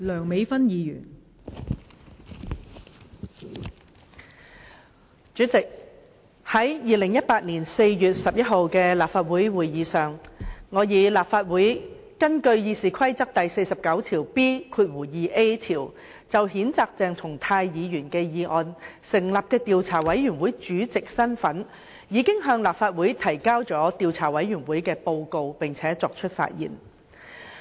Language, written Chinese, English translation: Cantonese, 代理主席，在2018年4月11日的立法會會議上，我以立法會根據《議事規則》第 49B 條就譴責鄭松泰議員的議案成立的調查委員會主席的身份，向立法會提交了調查委員會的報告並且發言。, Deputy President at the Council meeting on 11 April 2018 I addressed the Council on the Report of the Legislative Council Investigation Committee established under Rule 49B2A of the Rules of Procedure in respect of the motion to censure Dr CHENG Chung - tai in my capacity as Chairman of the Investigation Committee IC